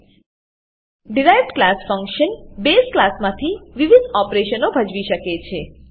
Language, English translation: Gujarati, Derived class function can perform different operations from the base class